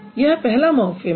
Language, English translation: Hindi, There is one morphem